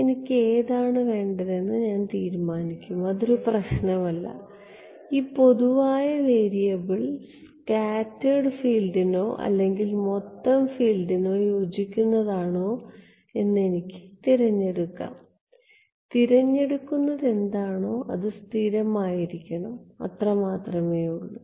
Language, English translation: Malayalam, Decide it does not matter I decide which one I want; I can either choose that this common variable be for corresponds to scattered field or total field its my choice I just have to be consistent that is all